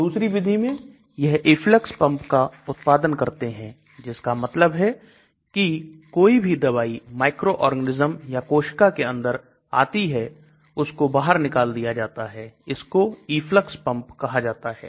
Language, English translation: Hindi, Other approach is to produce something called efflux pumps that means whatever drug comes inside the microorganism or cell is thrown out that is effluxed out, so that is called efflux pumps